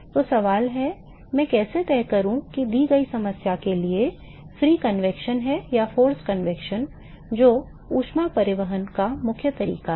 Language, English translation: Hindi, So, the question is; how do I decide whether for a given problem is the free convection or the forced convection which is the dominating mode of heat transport